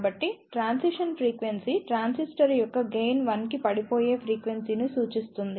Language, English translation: Telugu, So, transition frequency denotes the frequency and which the gain of the transistor drops down to 1